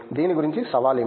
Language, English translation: Telugu, What’s challenging about it